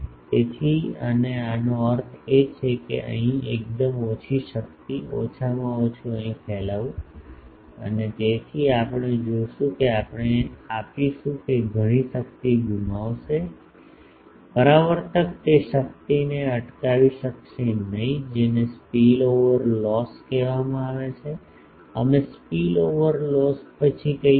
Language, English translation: Gujarati, So, and very small power in this that means, minimum here radiating and so, we will see that that we will give that many power will be lost, the reflector would not be able to intercept that power that is called spill over loss; we will come later to spill over loss